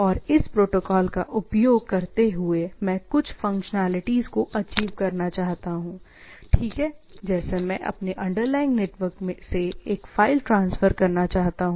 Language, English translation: Hindi, And using this protocol, I want to achieve some functionalities, right, like I want to transfer a file given my underlying network